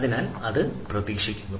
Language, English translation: Malayalam, so that is expected